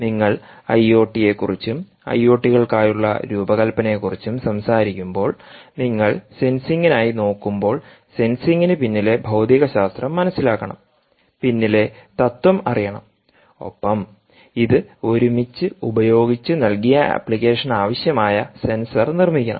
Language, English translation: Malayalam, to give you a feel that when you talk about i o t and design for i o ts and you are looking at sensing, you must know the principle behind sensing, the physics behind the sensing, and use this together to determine the kind of sensor required for a given application